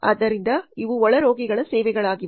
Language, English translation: Kannada, So these are the inpatient kind of services